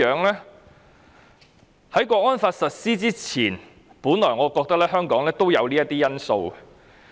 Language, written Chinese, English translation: Cantonese, 在《港區國安法》實施前，我也覺得香港有這些優勢。, Before the implementation of the National Security Law I think Hong Kong has these advantages too